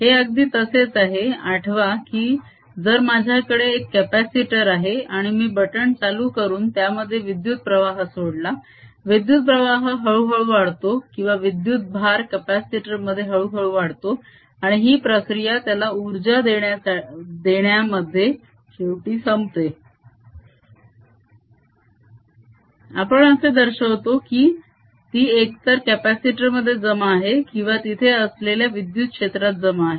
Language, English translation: Marathi, very similar to recall: if i have a capacitor and i turned a current on through a switch, the current builds up slowly, or the charge in the capacitor builds up slowly, and the process: i end up supplying energy to it, which we finally interpret as if its stored either in the capacitor or in the electric field that is there